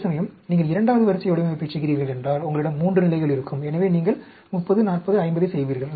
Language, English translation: Tamil, Whereas, if you are doing a second order design, you will have at 3 levels; so, you will do a 30, 40, 50